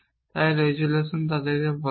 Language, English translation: Bengali, So, the resolution they are called